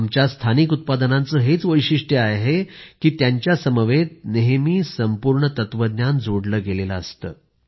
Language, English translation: Marathi, Our local products have this beauty that often a complete philosophy is enshrined in them